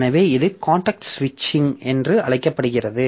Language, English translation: Tamil, So, this is known as context switch